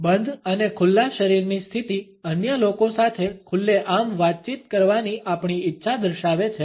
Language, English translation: Gujarati, The closed and open body positions indicate our desire to interact openly with other people